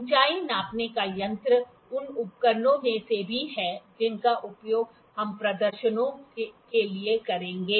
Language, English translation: Hindi, Height gauge is the also of the instruments that we will use for the demonstrations for the